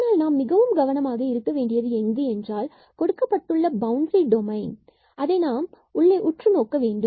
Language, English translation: Tamil, But, we have to be careful that the problem when we have that close and the boundary domain we have to look inside the domain